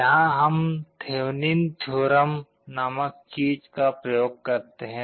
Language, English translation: Hindi, Here we apply something called Thevenin’s theorem